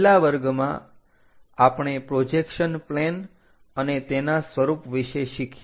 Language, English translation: Gujarati, In the last class, we learned about projection planes and their pattern